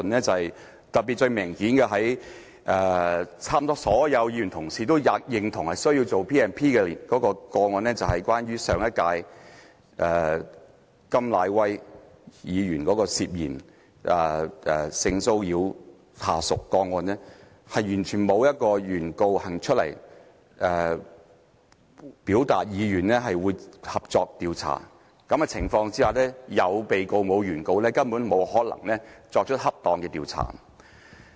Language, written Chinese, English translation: Cantonese, 最明顯的例子是，差不多所有議員都認同有需要引用《條例》的個案，就是關於上屆甘乃威議員涉嫌性騷擾下屬的個案，但是完全沒有原告走出來表達意願會合作調查，在有被告而沒有原告的情況下，根本沒有可能作出恰當的調查。, The clearest example the case in which almost all Members acknowledged the necessity to invoke the Ordinance was the KAM Nai - wai case in the time of the last Legislative Council . He was suspected of sexually harassing his subordinate . Nevertheless no one was willing to come out as the plaintiff in the investigation